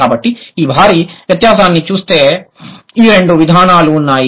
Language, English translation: Telugu, So, look at the difference, the huge difference that these two approaches have